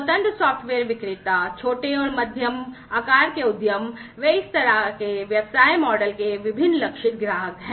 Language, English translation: Hindi, Independent software vendors, small and medium medium sized enterprises, they are the different target customers of this kind of business model